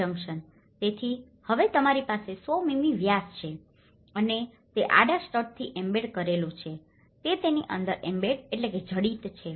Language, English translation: Gujarati, So, now you have the 100 mm diameter and it has embedded the horizontal stud is embedded within it